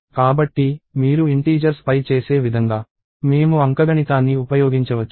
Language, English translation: Telugu, So, we can use like arithmetic, like you would do on integers and so, on